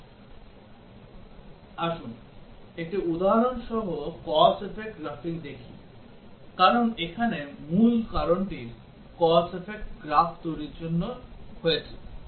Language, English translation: Bengali, Let us look at the cause effect graphing with an example, because the crux here lies in developing the cause effect graph